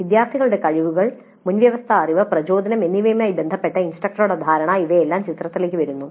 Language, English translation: Malayalam, So, the instructor's perception of students with regard to their abilities, prerequisite knowledge, motivation, all these things come into the picture